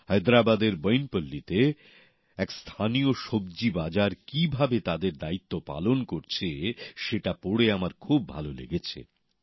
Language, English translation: Bengali, I felt very happy on reading about how a local vegetable market in Boinpalli of Hyderabad is fulfilling its responsibility